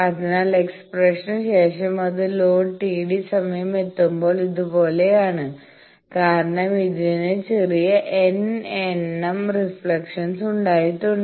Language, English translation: Malayalam, So, that when it is reaching the load T d time after the expression is like this, because it has suffered small n number of reflections